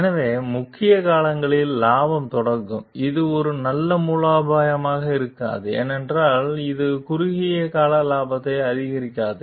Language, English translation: Tamil, So, though in the short term, profit will initiate; it may not be a very good strategy because it does not maximize the short term profit